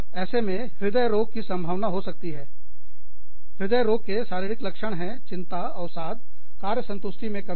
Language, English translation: Hindi, There could be, chances of cardiovascular disease, heart disease, psychological symptoms, anxiety, depression, decreased job satisfaction